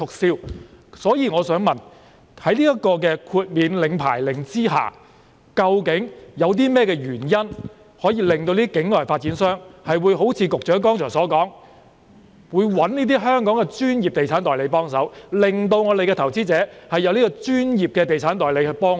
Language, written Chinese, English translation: Cantonese, 所以，我想問的是，在豁免領牌令之下，究竟有甚麼原因會令境外發展商像局長剛才所說般，聘用香港的專業地產代理幫忙，從而令本港的投資者可以得到專業地產代理的協助呢？, Therefore my question is this Under the exemption from licensing order what are the reasons for overseas developers to hire the service of professional estate agents in Hong Kong as the Secretary said just now to enable investors in Hong Kong to be provided with the assistance of professional estate agents?